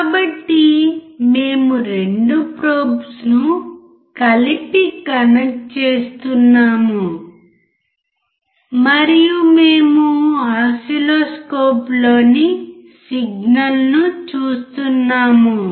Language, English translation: Telugu, So, we are connecting the 2 probes together and we are looking at the signal in the oscilloscope